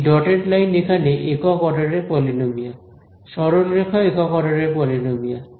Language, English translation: Bengali, This dotted line this dash line over here, this is a polynomial of order 1 straight line is polynomial of order 1